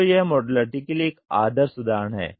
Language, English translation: Hindi, So, this is a perfect example for modularity